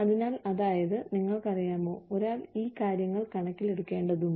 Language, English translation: Malayalam, So, that is, you know, one needs to keep, these things into account